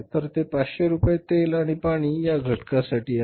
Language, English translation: Marathi, So this is 500 rupees item oil and water then we have rent